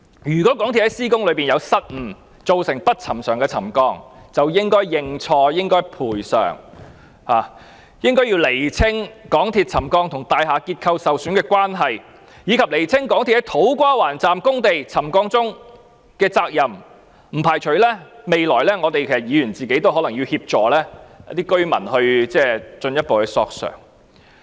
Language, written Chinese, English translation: Cantonese, 如果港鐵公司在施工期間有失誤，造成不尋常的沉降，便應該認錯和賠償，應該釐清港鐵公司工程導致的沉降情況與大廈結構受損的關係，以及釐清港鐵公司在土瓜灣站工地沉降中的責任，而我並不排除在未來日子，議員也要協助居民進一步索償。, If MTRCL had committed mistakes in the course of the construction works which hence caused unusual settlement it should tender an apology and make compensation . It is necessary to clarify the relation between ground settlement caused by the construction works of MTRCL and the structural damages of the buildings and it is also necessary to ascertain the responsibility of MTRCL for the settlement that occurred on the construction site of the To Kwa Wan Station . I do not rule out the possibility of Members having to assist the residents in seeking compensations in future